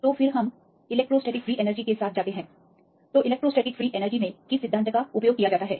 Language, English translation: Hindi, So then we go with the electrostatic free energy, so what is the principle used in electrostatic free energy